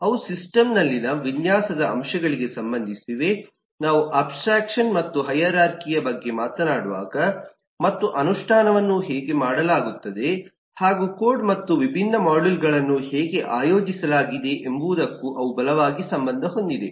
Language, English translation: Kannada, they relate both to the aspects of design in the system, when we talk about abstraction and hierarchy, and they also strongly relate to how the implementation is done and how the code and different modules are organized